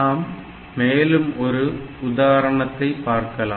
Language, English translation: Tamil, So, next we will look into another example program